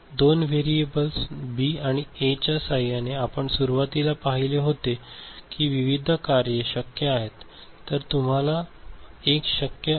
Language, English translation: Marathi, So, with two variables B and A we know, we had seen it in the beginning how many different possible functions can be generated ok